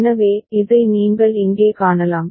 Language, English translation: Tamil, So, this is what you can see over here